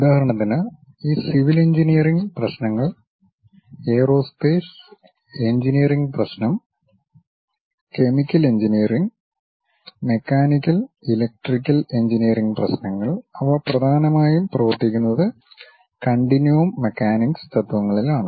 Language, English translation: Malayalam, For example: all these civil engineering problem, aerospace engineering problem, chemical engineering, mechanical, electrical engineering; they mainly work on continuum mechanics principles